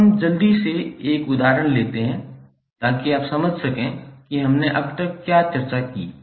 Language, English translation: Hindi, So now let us take one example quickly so that you can understand what we discussed till now